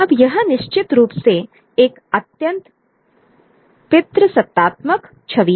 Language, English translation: Hindi, Now, this is an extremely patriarchal image, of course